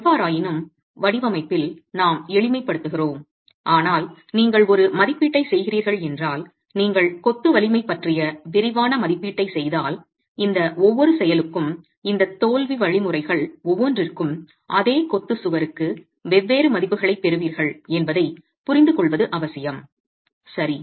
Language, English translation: Tamil, However, we make simplifications in design, but if you are doing an assessment, if you are doing a detailed assessment of masonry strength, it is essential to understand that you are going to have different values for each of these actions and each of these failure mechanisms in the same masonry wall itself